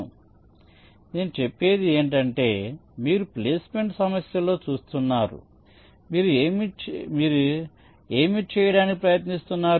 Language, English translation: Telugu, so what i say is that you see, ah, in the placement problem, what are you trying to do